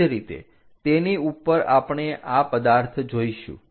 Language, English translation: Gujarati, Similarly, on top of that we are going to see this object